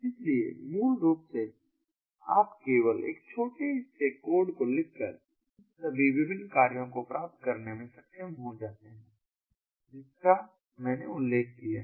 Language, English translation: Hindi, so basically, you know, by writing only a small piece of code one would be able to achieve all these different functions that i have just mentioned